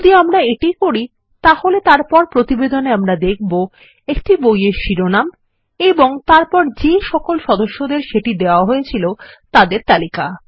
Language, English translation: Bengali, If we do that, then in the report we will see a book title and then all the members that it was issued to